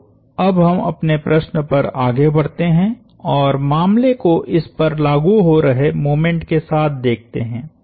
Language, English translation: Hindi, So, now, let us move on to our problem and look at the case with the moment acting on it